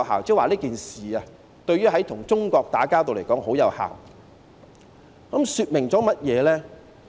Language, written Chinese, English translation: Cantonese, "，即是說這件事對於與中國打交道來說十分有效，這說明甚麼呢？, It means that the whole saga is very effective for the dealings with China . What does it show?